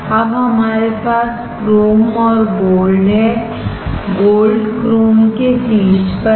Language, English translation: Hindi, Now we have chrome and gold; gold is on the top of chrome